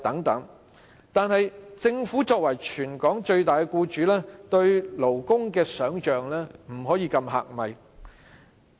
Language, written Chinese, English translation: Cantonese, 可是，政府作為全港最大僱主，對勞工的想象不能過於狹隘。, However being the largest employer in Hong Kong the Government cannot adopt a narrow perspective in respect of labour affairs